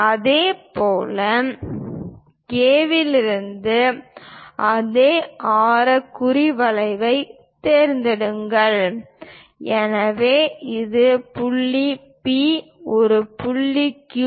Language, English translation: Tamil, Similarly, from K, pick the same radius mark arc, so this one is point P, and this point Q